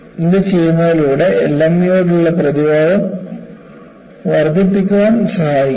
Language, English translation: Malayalam, So, by doing this, they can help to enhance resistance to LME